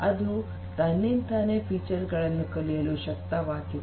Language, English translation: Kannada, On its own, it is able to learn the features